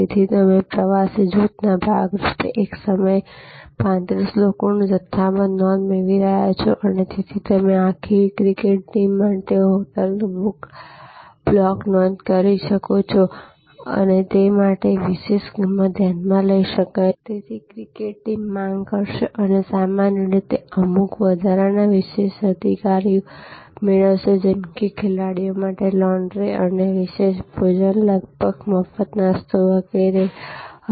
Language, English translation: Gujarati, So, you are getting at one time bulk booking of 35 people as part of a touring group and therefore, there can be special price consideration you are making a block booking of a hotel for a whole cricket team and therefore, the cricket team will can demand and will normally get certain additional privileges like may be laundry for the players and a special meal almost free breakfast and so on and so forth